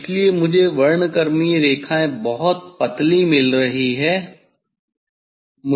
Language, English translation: Hindi, that is why this I am getting the spectral lines very fine spectral lines